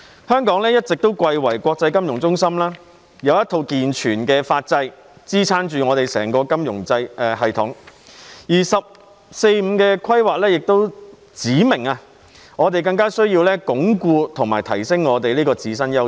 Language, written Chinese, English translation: Cantonese, 香港一直貴為國際金融中心，有一套健全的法制支撐着我們整個金融系統，而"十四五"規劃亦指明，我們有需要加強鞏固及提升我們這個自身優勢。, As an established international financial centre Hong Kong has a sound legal system underpinning the entire financial system . The 14th Five - Year Plan has also highlighted the need for us to reinforce and enhance this unique advantage